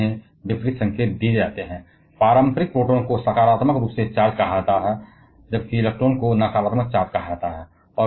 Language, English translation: Hindi, And therefore, they are given opposite signs conventional proton is called positively charge whereas, electron is called negatively charged